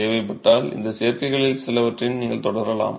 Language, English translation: Tamil, You should be able to proceed with some of these additives if necessary